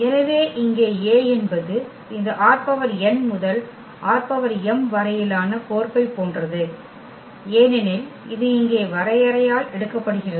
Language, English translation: Tamil, So, here the A is like map from this R n to R m because it is taking by this definition here Ax